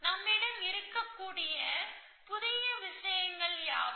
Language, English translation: Tamil, What are the new things we can have